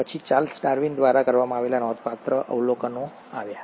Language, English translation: Gujarati, Then came the remarkable observations done by Charles Darwin